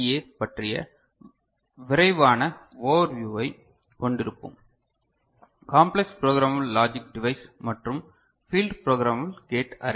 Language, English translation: Tamil, And then we shall have a quick overview of CPLD and FPGA: Complex Programmable Logic Device and Field Programmable Gate Array